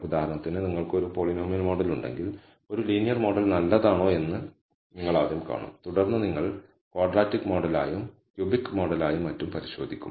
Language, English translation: Malayalam, So, if you have for example, a polynomial model, you will first see whether a linear model is good then you will check as quadratic model and a cubic model and so on